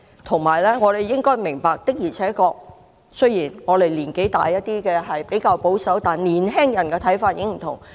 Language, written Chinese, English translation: Cantonese, 我們亦應該明白，雖然年紀稍大的人比較保守，但年輕人的看法已經不同。, We should also accept that young people no long think in the same way as old people do for they are relatively conservative